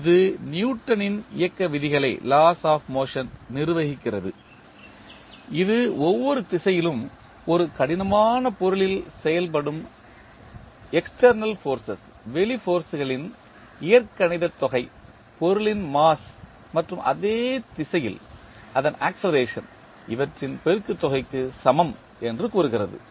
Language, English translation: Tamil, So, it governs the Newton’s law of motion which states that the algebraic sum of external forces acting on a rigid body in a given direction is equal to the product of the mass of the body and its acceleration in the same direction